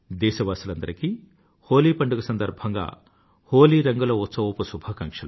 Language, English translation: Telugu, I wish a very joyous festival of Holi to all my countrymen, I further wish you colour laden felicitations